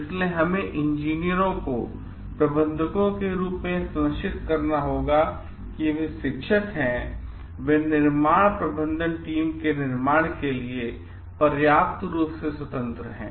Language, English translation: Hindi, So, we have to ensure as the engineers and managers like they are teachers are sufficiently independent of the manufacture of the construction management team